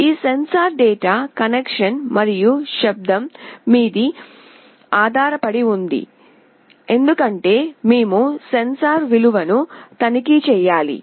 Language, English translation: Telugu, This sensor data depends on connection as well as the noise as we need to check the value of the sensor